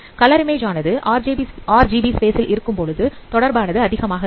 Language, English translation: Tamil, You know that when colored images, they are represented in RGB color space, they are highly correlated